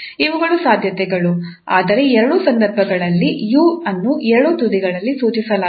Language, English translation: Kannada, So that is the possibilities but in either case the u is prescribed at both the end